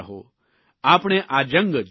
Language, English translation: Gujarati, We shall win this battle